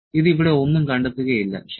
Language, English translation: Malayalam, It would not find anything here, ok